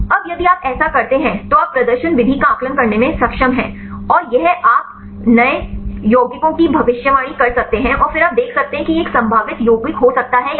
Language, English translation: Hindi, Now, if you to do this, then you are able to assess the performance the method and this you can predict new compounds and then you can see whether this could be a potential compounds or not